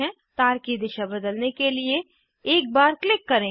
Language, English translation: Hindi, Click once to change direction of wire